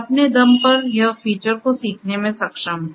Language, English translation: Hindi, On its own, it is able to learn the features